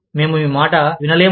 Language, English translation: Telugu, We cannot listen to you